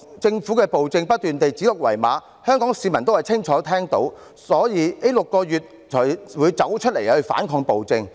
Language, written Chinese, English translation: Cantonese, 政府的暴政不斷指鹿為馬，香港市民也清楚聽到，所以這6個月才會走出來反抗暴政。, The tyranny called a stag a horse and Hongkongers can clearly hear it . For this reason they came forth to resist the tyranny during these past six months